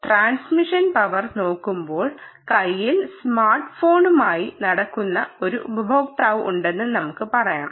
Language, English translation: Malayalam, looking at the transmission power, and let us say there is a user who is walking with the phone in his hand